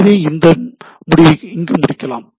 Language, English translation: Tamil, So, let us conclude here